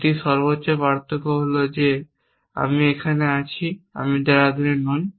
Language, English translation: Bengali, So difference one difference is that I am in Chennai not in Dehradun